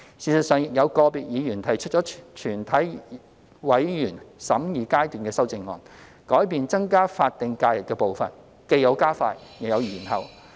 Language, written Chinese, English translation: Cantonese, 事實上，亦有個別議員提出了全體委員會審議階段修正案，改變增加法定假日的步伐，既有加快，亦有延後。, Indeed individual Members have proposed Committee stage amendments to alter the pace of increasing SHs by either advancing or postponing it